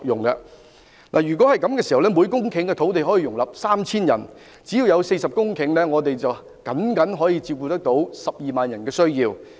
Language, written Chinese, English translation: Cantonese, 如果政府願意這樣做，每公頃土地可以容納 3,000 人，只要有40公頃土地，便剛可照顧約12萬人的需要。, If the Government is willing to adopt this proposal each hectare of land will accommodate 3 000 persons and it requires only 40 hectares of land to meet the housing need of around 120 000 persons accurately